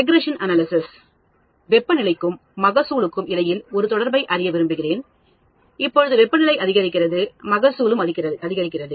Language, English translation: Tamil, Regression analysis, I want to draw a relationship between temperature and yield; as the temperature increases, yield also increases